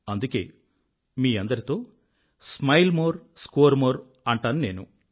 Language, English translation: Telugu, And therefore I shall say to you 'Smile More Score More'